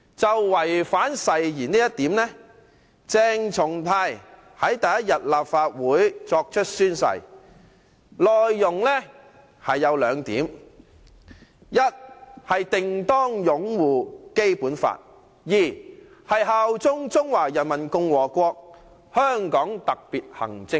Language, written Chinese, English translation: Cantonese, 就違反誓言這一點，鄭松泰於立法會作出宣誓時，承諾：第一，定當擁護《基本法》；第二，效忠中華人民共和國和香港特別行政區。, With respect to the allegation of breach of oath when CHENG Chung - tai took the oath at the Legislative Council he had pledged to first uphold the Basic Law; second bear allegiance to the HKSAR of the Peoples Republic of China